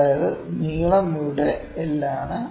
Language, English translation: Malayalam, That is length is this is L by this here